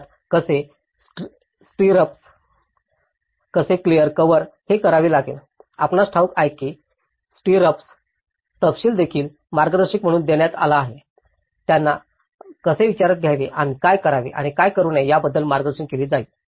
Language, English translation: Marathi, Basically, how even the stirrups, how the clear cover has to be done so, you know the stirrup details will also have been given as guidance, how to mould them how to consider and what to do and what not to do